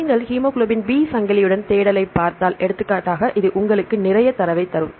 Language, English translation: Tamil, If you look search with the hemoglobin B chain, for example, it will give you lot of data